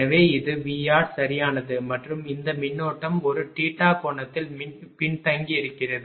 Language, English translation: Tamil, So, this is V R right and this current is lagging by an angle theta